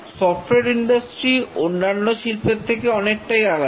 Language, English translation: Bengali, The software industry is very different from the other industries